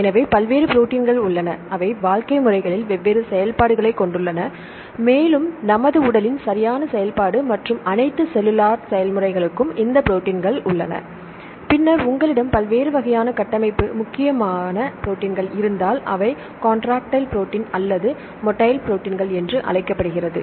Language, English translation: Tamil, So, there are various proteins, they have different functions in living systems and we have these proteins for the proper function of our body right and all the cellular processes, then if you have different types of structural important proteins, right or this is called contractile proteins or the motile proteins right